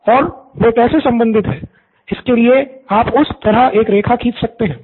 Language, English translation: Hindi, And how are they related, so you can draw a line like that